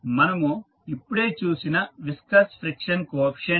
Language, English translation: Telugu, B is the viscous frictional coefficient